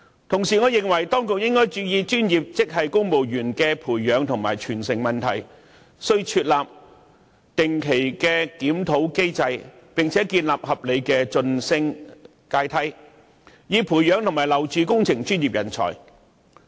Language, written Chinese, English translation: Cantonese, 同時，我認為當局應該注意專業職系公務員的培養和傳承問題，須設立定期檢討機制，並建立合理的晉升階梯，以培養和挽留工程專業人才。, Meanwhile I believe that the authorities should pay attention to the training and succession of professional grade civil servants . They should put in place mechanism to conduct regular reviews and formulate reasonable promotion ladder for grooming and retaining engineering professionals